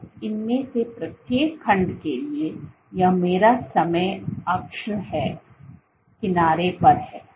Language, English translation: Hindi, And for each of these segments, this is my time axis and along the edge